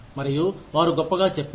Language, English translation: Telugu, And, they say, great